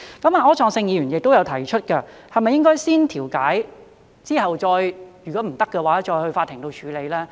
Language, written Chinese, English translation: Cantonese, 柯創盛議員亦有提出，是否應該先調解，如果不行才去法庭處理。, Mr Wilson OR has also queried whether we should first mediate and in case of failure go to court